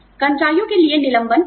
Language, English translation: Hindi, Layoffs are not easy, for the employees